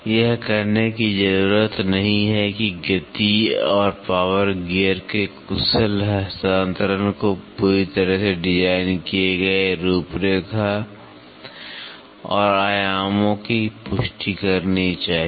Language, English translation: Hindi, It is needless to say that the efficient transfer of speed and power gear should confirm perfectly to the designed profile and dimensions